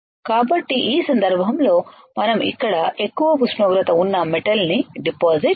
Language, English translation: Telugu, So, in this case we can we can deposit a metal which is of higher temperature here we are not worried right